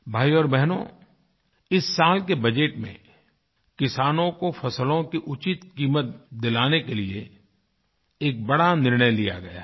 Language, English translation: Hindi, Brothers and sisters, in this year's budget a big decision has been taken to ensure that farmers get a fair price for their produce